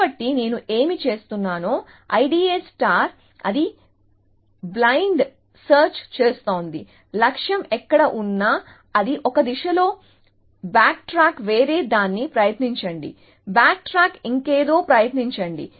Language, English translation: Telugu, So, what I D A star is doing, it is doing blind search, wherever the goal is it will go of in one direction, back track, try something else, back track, try something else, back track, try something else and so on